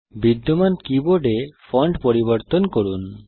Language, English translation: Bengali, Let us change the fonts in the existing keyboard